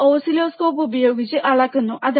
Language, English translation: Malayalam, That you can do by taking help of the oscilloscope